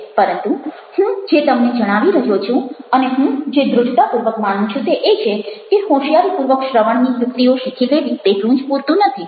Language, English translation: Gujarati, but what i am trying to share with you, and what i strong believe in, is that learning smartly about the tricks of listening is not good enough